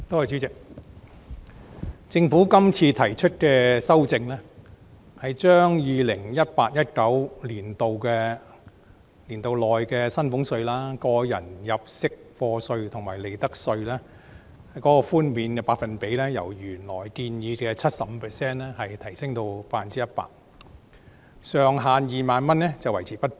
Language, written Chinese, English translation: Cantonese, 主席，政府今次提出的修正案，是把 2018-2019 課稅年度內的薪俸稅、個人入息課稅及利得稅的稅務寬免百分比由原來建議的 75% 提升至 100%， 上限2萬元維持不變。, Chairman the amendment proposed by the Government this time around is to raise the one - off reductions of salaries tax tax under personal assessment and profits tax for the year of assessment 2018 - 2019 from the original 75 % to 100 % while the ceiling of 20,000 per case is unchanged